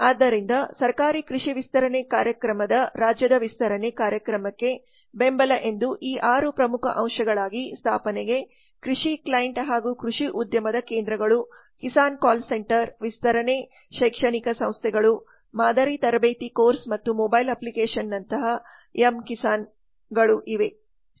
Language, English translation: Kannada, so the government agricultural extension program has this six important parts that is the support to state extension program establishment of agri clients and agri business centers Kisan call centers extension educational institutes model training course and the development of mobile application like Kisan